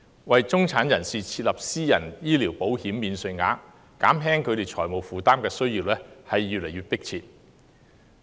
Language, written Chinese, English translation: Cantonese, 為中產人士設立"私人醫療保險免稅額"，減輕他們財務負擔的需要越見迫切。, There is an increasingly pressing need to introduce a private health insurance allowance for the middle class in order to alleviate their financial burden